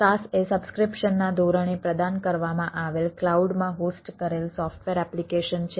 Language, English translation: Gujarati, saas is the software application hosted in the cloud provided in a subscription basis